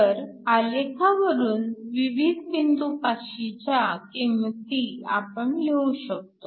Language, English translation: Marathi, So, from the graph, we can essentially marks the values of these various points